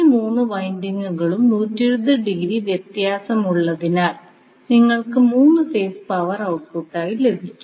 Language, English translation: Malayalam, So, since these all 3 windings are 120 degree apart you will get 3 phase power as a output